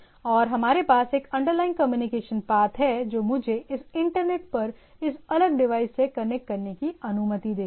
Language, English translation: Hindi, And we have a underlying communication path which allows me to connect to this different devices across this internet